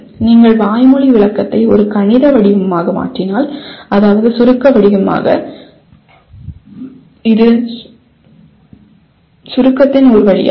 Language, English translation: Tamil, You convert let us say verbal description into a mathematical form, that is abstract form, that is one way of summarization